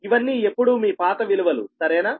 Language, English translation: Telugu, these are always your old values, right